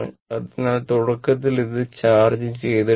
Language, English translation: Malayalam, So, initial it was uncharged